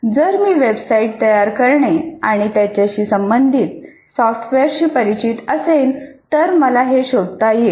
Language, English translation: Marathi, Because if I'm familiar with the subject of website creation and the software related to that, I should be able to find this